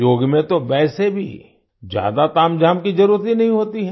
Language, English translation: Hindi, There is no need for many frills in yoga anyway